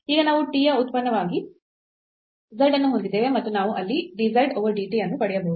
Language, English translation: Kannada, So, now we have z as a function of t and we can get dz over dt there